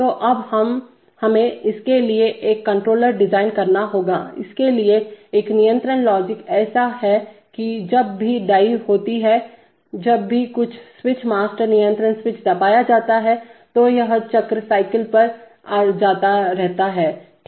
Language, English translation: Hindi, So now we have to design a controller for it, a control logic for it such that whenever a dye is, that is whenever some switches master control switch is pressed it keeps on going to a cycle, okay